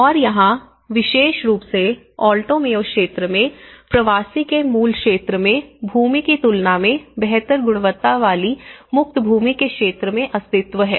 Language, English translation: Hindi, And here, again in this particular Alto Mayo region, there is an existence in the area of free land of a better quality than the land in the migrant’s native area